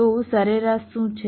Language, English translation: Gujarati, what is the average average